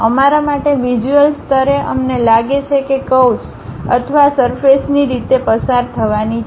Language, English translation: Gujarati, For us at visual level we feel like the curve or the surface has to pass in that way